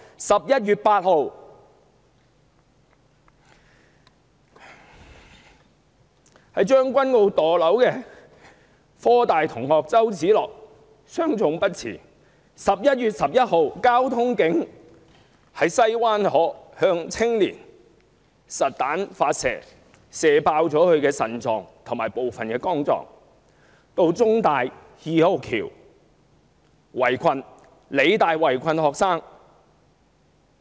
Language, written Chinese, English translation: Cantonese, 11月8日，在將軍澳墮樓的香港科技大學學生周梓樂傷重不治 ；11 月11日，交通警員在西灣河向青年發射實彈，射破對方的腎臟和部分肝臟；還有警方到香港中文大學二號橋、香港理工大學圍困學生的事件。, On 8 November CHOW Tsz - lok a student of The Hong Kong University of Science and Technology who fell from a building in Tsueng Kwan O died after sustaining serious injuries . On 11 November a traffic police officer fired a live round at a young person rupturing the latters spleen and part of his liver . And there were also the incidents in which students were besieged by the Police at the No